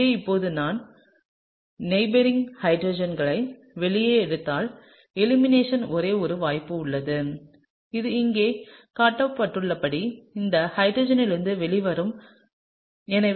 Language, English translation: Tamil, So now, if I draw out the neighbouring hydrogens there is only one possibility for elimination, which is from this hydrogen as shown here, okay